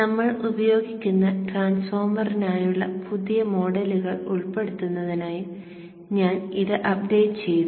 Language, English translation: Malayalam, I have also updated it to include the new custom models for the transformer that we will be using